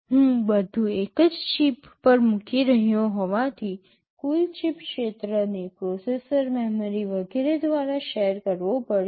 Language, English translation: Gujarati, Since I am putting everything on a single chip, the total chip area has to be shared by processor, memory, etc